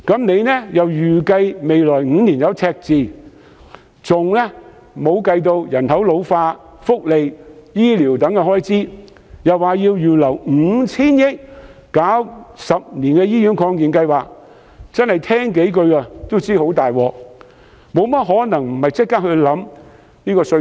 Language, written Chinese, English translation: Cantonese, 司長又預計未來5年會有赤字，亦尚未計入人口老化的福利及醫療等開支，更說要預留 5,000 億元推行十年醫院發展計劃，真是光聽也知道問題嚴重，豈可不立即考慮改革稅制？, The Financial Secretary also forecasted a deficit for the next five years yet the welfare health care and other expenditure to meet the ageing population and the 500 billion earmarked for implementing the 10 - year Hospital Development Plan have not been taken in to account . These figures are more than terrifying . So how can the Government not immediately consider reforming the tax regime?